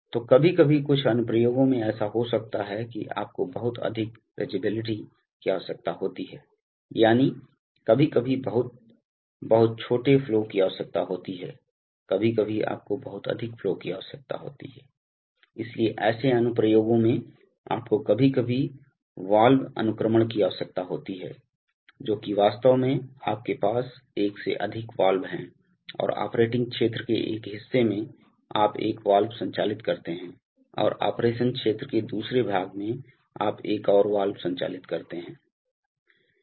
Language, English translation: Hindi, So sometimes in some applications it may happen that you need a very high rangeability, that is you can sometimes need very, very small flows, sometimes you need very high flows, so in such applications, you sometimes have to, you know have valve sequencing, that is you actually have more than one valve and in one part of the operating region, you operate one valve and in another part of the operation region you operate another valve